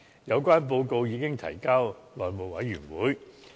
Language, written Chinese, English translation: Cantonese, 有關報告已經提交內務委員會。, The Panel submitted a report on the duty visit to the House Committee